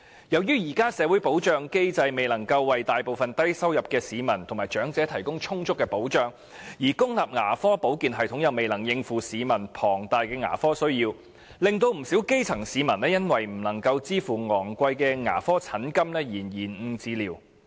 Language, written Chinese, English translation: Cantonese, 由於現時的社會保障機制未能為大部分低收入市民及長者提供充足的保障，而公立牙科保健系統又未能應付市民龐大的牙科需要，不少基層市民因不能支持昂貴的牙科診金而延誤治療。, As the existing social security mechanism cannot provide the majority of low - income earners and elderly persons with adequate protection while the public dental care system has also failed to meet the huge dental needs of the general public many grass - root people cannot afford the high charges for dental services and have thus delayed the seeking of dental treatment